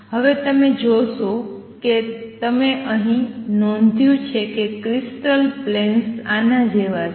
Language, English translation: Gujarati, Now you see if you notice here the crystal planes are like this